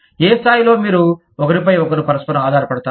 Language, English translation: Telugu, On what levels, are you inter dependent, on each other